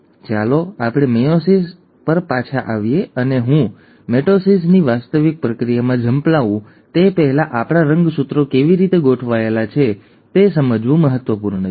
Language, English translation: Gujarati, So let us come back to mitosis and before I get into the actual process of mitosis, it is very important to understand how our chromosomes are arranged